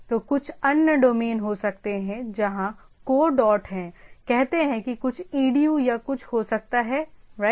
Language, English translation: Hindi, So, there can be some other domain where that is co dot say something edu is could can be there right or something